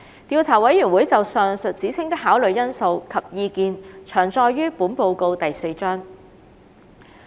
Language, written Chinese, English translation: Cantonese, 調查委員會就上述指稱的考慮因素及意見詳載於本報告第4章。, Details of the Investigation Committees considerations and views on the allegations above are set out in Chapter 4 of this Report